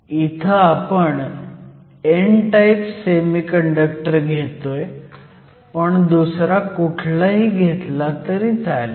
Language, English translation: Marathi, And you will use the same n type semiconductor as an example